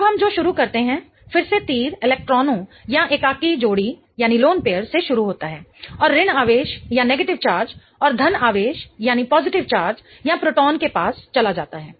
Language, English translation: Hindi, Now, what we start with is again the arrow starts from the electrons or the lone pairs and or the negative charge and goes off to the positive charge or the proton